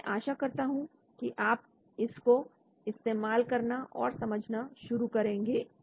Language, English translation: Hindi, So I expect that you can start exploring these